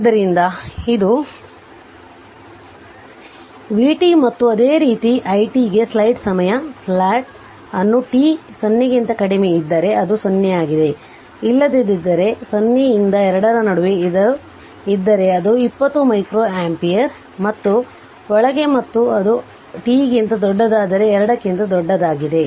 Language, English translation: Kannada, So, this is vt and similarly if you plot i t for I for your ah for ah t less than 0 it is 0, otherwise for in between 0 to 2 it is 20 micro your ampere and in and if it is greater than t is greater than ah 2 right